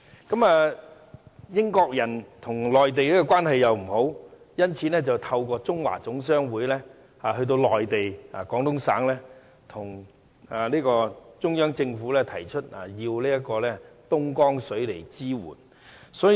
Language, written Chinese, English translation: Cantonese, 當時，英國人和內地關係欠佳，因此透過中華總商會的代表前往內地，向中央政府提出要求廣東省東江水支援。, At that time the British Government was not in good terms with the Mainland Government and therefore it had to resort to the mediation of the Chinese General Chamber of Commerce to ask the Central Government to obtain Dongjiang water from the Guangdong Province